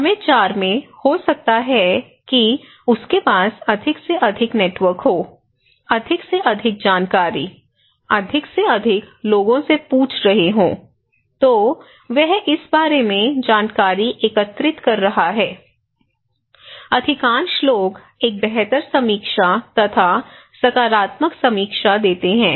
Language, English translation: Hindi, So, in time 4, maybe he has more and more and more networks, more and more informations, asking more and more people so, he then collecting more informations either good or bad about this so, in this case, most of the people give a better review, a positive review, okay